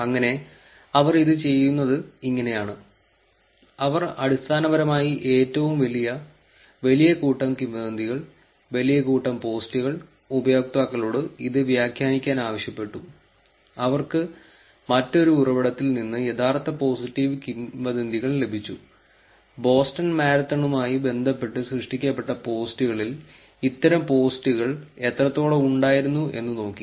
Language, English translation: Malayalam, So, this is how did they do it, they basically did took the largest, large set of rumours, large set of posts, asked users to annotate it and they also got the true positive rumours from another source, looked at how much of the total content generated about the Boston Marathon had these posts